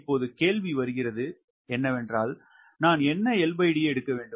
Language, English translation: Tamil, ok, now the question comes what l by d i should take